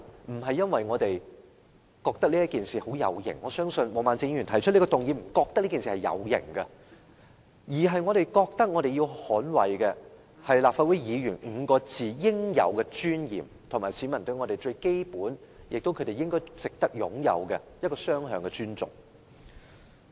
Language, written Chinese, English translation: Cantonese, 並非因為這是一件很有型的事，我相信毛孟靜議員並非因為覺得有型而提出這項議案，而是因為我們覺得必須捍衞"立法會議員"這5個字的應有尊嚴，以及市民與我們之間最基本及值得擁有的雙向尊重。, We should do so not because it makes us look smart and I am sure Ms Claudia MO is not moving this motion to make herself look smart . We should do so because we see the need for safeguarding the dignity of Legislative Council Members as well as maintaining mutual respect between the general public and Members of this Council which is the most basic thing that we should foster